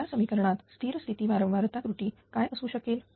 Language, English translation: Marathi, Now in this equation then what will be the steady state error of frequency